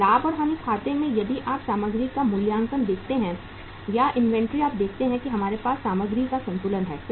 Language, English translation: Hindi, In this profit and loss account if you see uh the the valuation of the material or the inventory you see that we have opening balance of the material